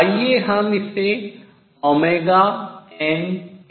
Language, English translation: Hindi, Let me write this again